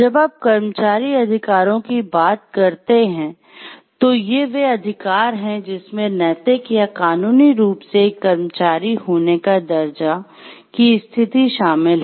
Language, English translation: Hindi, So, employee rights are any rights moral or legal that involved the status of being an employee